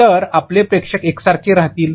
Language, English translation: Marathi, So, your audience will remain the same